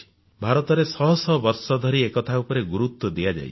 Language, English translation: Odia, In India, this has been accorded great importance for centuries